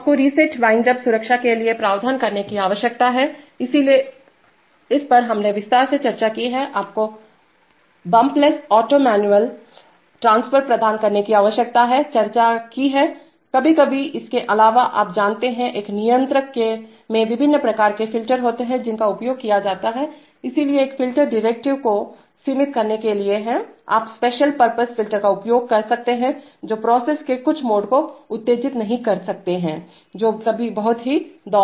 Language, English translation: Hindi, So you need to provide provision for reset windup protection, this we have discussed in detail, you need to provide bump less auto manual transfer, this also we have provided, discussed, sometimes apart from, you know, there are, there are, in a controller there are different kinds of filters which are used, so one filter is to limit derivatives, you could use special purpose filters not to excite certain modes of a process which are very very oscillated